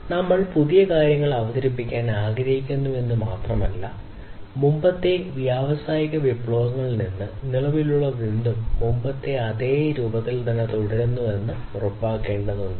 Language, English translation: Malayalam, So, not only that we want to introduce newer things, but also we have to ensure that whatever has been existing from the previous industry revolutions continue and continue at least in the same form that it was before